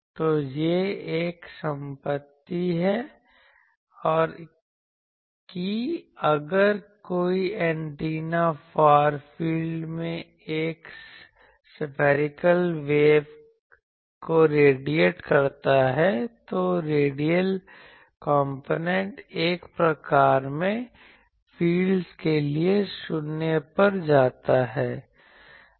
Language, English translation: Hindi, So, this is a property that if any antenna radiates a spherical wave in the far field, the radial component goes to 0 for 1 by r type of fields